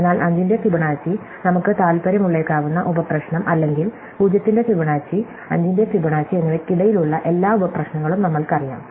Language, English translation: Malayalam, Therefore, from Fibonacci of 5, we immediately know that the sub problem that could be of interest to us are all sub problems between Fibonacci of 0 and Fibonacci of 5